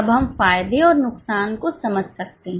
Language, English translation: Hindi, Now we can understand the advantages and disadvantages